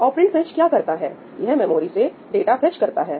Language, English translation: Hindi, what does operand fetch do it fetches the data from the memory